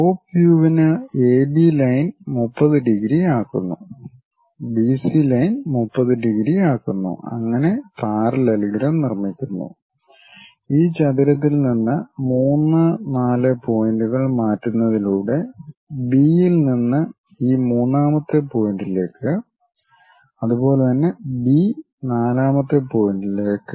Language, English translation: Malayalam, For top view the same procedure AB line makes 30 degrees, BC line makes 30 degrees, construct the parallelogram; then from B all the way to this third point, similarly B, all the way to fourth point by transferring 3 and 4 points from this rectangle